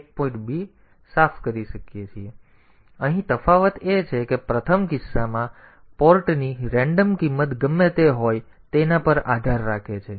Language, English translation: Gujarati, So, here the difference is that in the first case, it depends whatever be the random value the port has so it will be complimenting that value